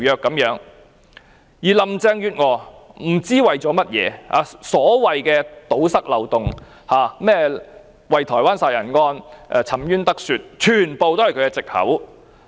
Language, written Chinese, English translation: Cantonese, 不知道林鄭月娥為了甚麼，所謂要堵塞條例的漏洞、讓台灣兇殺案的受害人沉冤得雪，全部都是她的藉口。, We do not know the reason why she has to force ahead with this evil bill which seeks to send fugitives to China . She has all kinds of excuses with her so - called plugging the loophole of the ordinance and doing justice to the victim of the Taiwan murder case